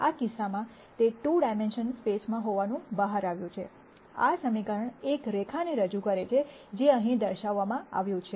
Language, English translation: Gujarati, It turns out in this case of the 2 dimensional space, this equation represents a line which is depicted here